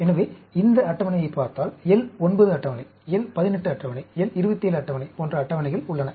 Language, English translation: Tamil, So, if you look at this table, there are tables available like L 9 table, L 18 table, L 27 table